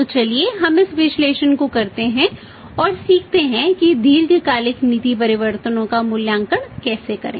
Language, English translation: Hindi, So let us do this analysis and learn how to evaluate the long term policy changes